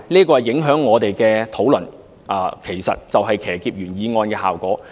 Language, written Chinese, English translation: Cantonese, 這影響到我們的討論，造成騎劫原議案的效果。, This affects our discussion and has the effect of hijacking the original motion